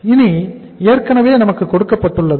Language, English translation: Tamil, It is already given to us